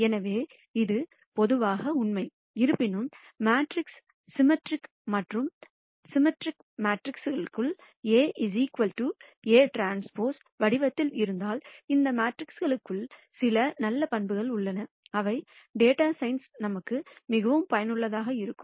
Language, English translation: Tamil, So, this is true in general; however, if the matrix is symmetric and symmetric matrices are of the form A equal to A transpose, then there are certain nice properties for these matrices which are very useful for us in data science